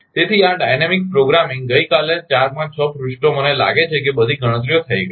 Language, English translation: Gujarati, So, this dynamic programming yesterday 4 5 6 pages I think all calculations are made